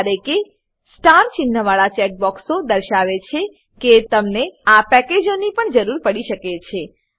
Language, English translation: Gujarati, Whereas checkboxes with star marks, indicate that you may need these packages, as well